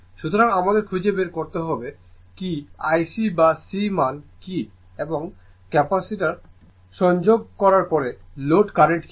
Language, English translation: Bengali, So, we have to find out what is I what is IC or C value and what is the load current after connecting the Capacitor so; that means, this is the problem define